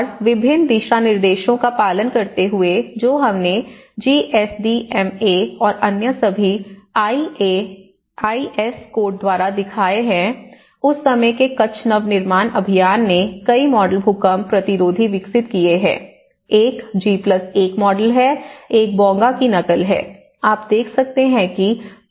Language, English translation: Hindi, And following various guidelines which we showed by the GSDMA and all others IS codes, Kutch Nava Nirman Abhiyan of that time has developed many of the models earthquake resistant, one is G+1 model, one is the imitation of the Bonga, what you can see is the plinth band, sill band on the roof band